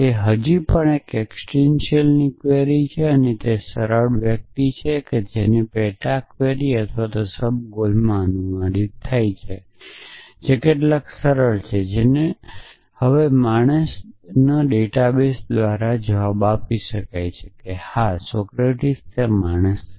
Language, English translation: Gujarati, So, it is still an existential query it is a easier someone whose mortal gets translated into a sub query or a subgoel which is easier some whose the man essentially now that can be answer by the database yes Socrates is the man